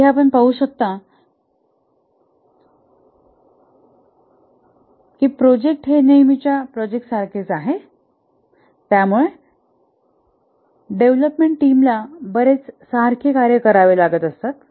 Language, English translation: Marathi, So, as you can see here, that the project is rather a routine project where the development team have done similar work